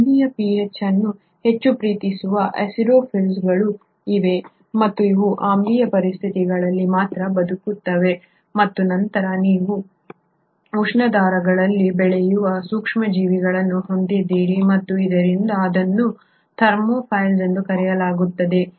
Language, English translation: Kannada, There are acidophiles, which love more of an acidic pH and they survive only under acidic conditions and then you have those microbes which are growing in thermal vents and hence are called as Thermophiles